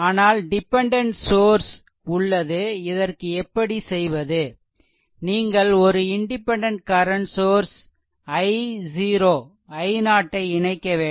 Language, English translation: Tamil, So, dependent source is there so, what you can do is for example, you can connect a your what you call a current source say your independent current source i 0